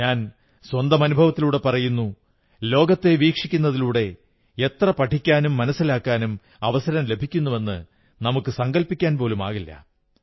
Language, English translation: Malayalam, I can tell you from my experience of going around the world, that the amount we can learn by seeing the world is something we cannot even imagine